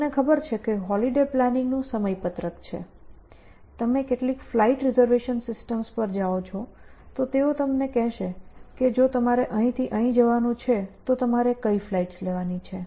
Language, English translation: Gujarati, You know scheduling holiday planning, you go to some flight reservation systems, they will tell you that if you want to go from here to basils, what are the flights you should take